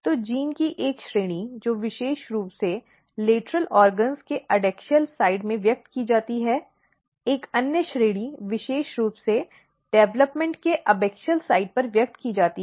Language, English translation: Hindi, So, one category of the genes which are specifically expressed at the adaxial side of the lateral organs, another category is expressed specifically on the abaxial side of the development